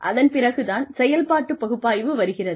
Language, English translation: Tamil, After that, comes the operations analysis